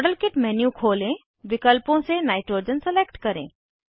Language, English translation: Hindi, Open the modelkit menu, select nitrogen from the options